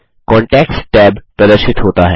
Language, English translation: Hindi, The Contacts tab appears